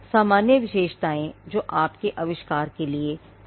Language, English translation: Hindi, The general features that are common to your invention